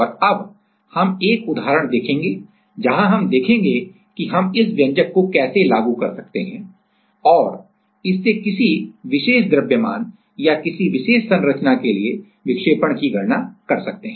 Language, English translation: Hindi, And now, we will see one example where we will see that how we can apply this expression and can calculate the deflection for a particular proof mass or for a particular structure